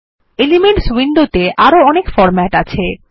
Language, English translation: Bengali, More formatting is available in the Elements window